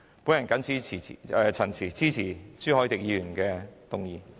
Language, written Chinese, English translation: Cantonese, 我謹此陳辭，支持朱凱廸議員的議案。, With these remarks I support Mr CHU Hoi - dicks motion